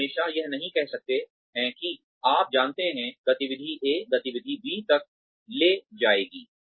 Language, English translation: Hindi, You cannot always say that, you know, activity A would lead to activity B